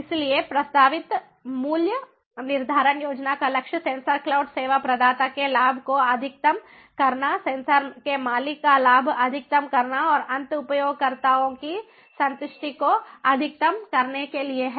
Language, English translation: Hindi, so the goal of the proposed pricing scheme is to maximize the profit of the sensor cloud service provider, maximize the profit of the sensor owner and to maximize the satisfaction of the end users